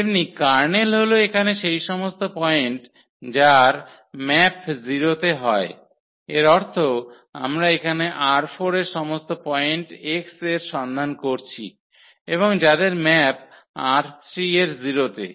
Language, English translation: Bengali, Similarly, the kernel because the kernel will be all the points here whose who map is to 0s; that means, we are looking for all the points x here in R 4 and whose map to the 0 in R 3